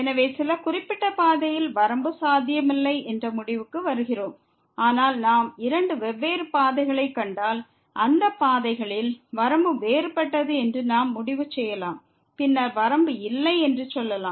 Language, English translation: Tamil, So, concluding that the limit along some particular path is not possible, but what we can conclude that if we find two different paths and along those paths, the limit is different then we can say that the limit does not exist